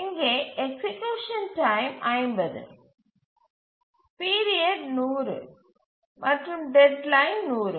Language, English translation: Tamil, So, execution time is 50, period is 100 and deadline is 100